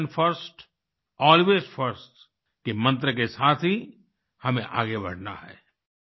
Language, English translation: Hindi, We have to move forward with the mantra 'Nation First, Always First'